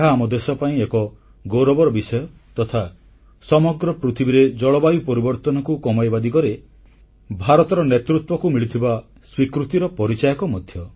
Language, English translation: Odia, This is a very important achievement for India and it is also an acknowledgement as well as recognition of India's growing leadership in the direction of tackling climate change